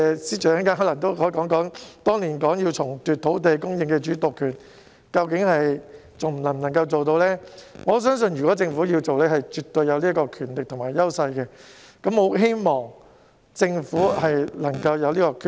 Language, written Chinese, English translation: Cantonese, 司長稍後可以回應當年表示要重奪土地供應主導權一事究竟還能否做得到，而我相信如果政府有意實行，它絕對有權力和優勢，希望政府能夠下定決心。, The Financial Secretary may later reply as to whether the Government is still in control of land supply as it did years ago . I believe that if the Government has the will it must have the power and edge to do so . I hope the Government can set its mind on this